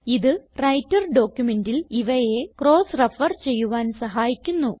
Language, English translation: Malayalam, These will help to cross reference them anywhere within the Writer document